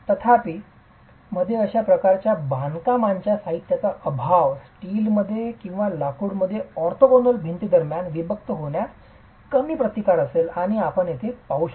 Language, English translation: Marathi, However, in the absence of any such tying material in steel or in timber, you would have a very low resistance to separation between orthogonal walls and that is exactly what you see here